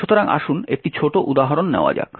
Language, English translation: Bengali, So, let us take a small example